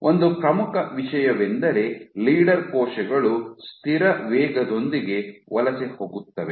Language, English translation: Kannada, So, leader cells migrate with near constant speeds